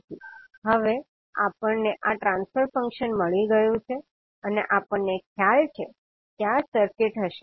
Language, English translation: Gujarati, So now we have got this transfer function and we have the idea that this would be circuit